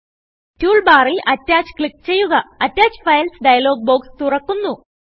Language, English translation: Malayalam, From the toolbar, click Attach.The Attach Files dialog box opens